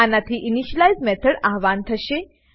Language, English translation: Gujarati, This will invoke the initialize method